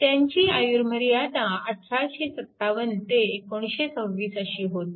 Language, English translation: Marathi, His life span was 1857 to 1926